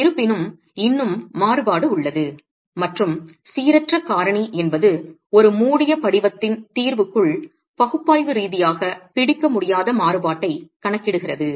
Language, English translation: Tamil, However, there is still variability and the non uniformity factor is something that is accounting for the variability that we are not able to capture analytically within the, within a close form solution itself